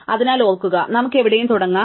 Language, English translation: Malayalam, So, remember we can start anywhere